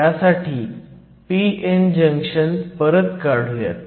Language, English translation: Marathi, So, we are forming a p n junction